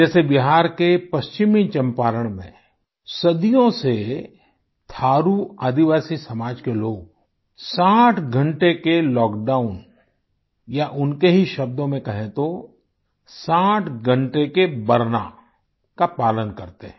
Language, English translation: Hindi, For example, in West Champaran district of Bihar, people belonging to Thaaru tribal community have been observing a sixtyhour lockdown for centuries…